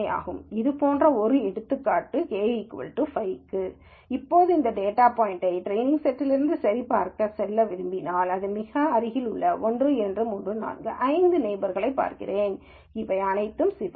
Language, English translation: Tamil, Now if I want to let us say a check this data point from the training set itself, then I look at its five neighbors, closest 1 2 3 4 5, all of them are red